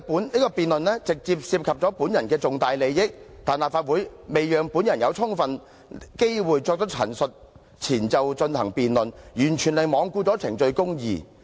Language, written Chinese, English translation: Cantonese, 這項辯論直接涉及本人的重大利益，但立法會在未讓本人有充分機會作出陳述前就進行辯論，完全是罔顧程序公義。, This debate is directly relevant to my major personal interests but the Legislative Council conducted a debate without giving me sufficient opportunities to state my case so this is total disregard of procedural justice